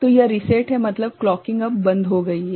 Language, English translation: Hindi, So, this is reset means clocking is now stopped